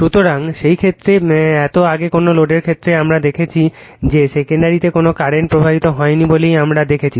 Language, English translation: Bengali, So, in that case so earlier in for no load cases we have seen that you are what you call there was no current flowing in the secondary, right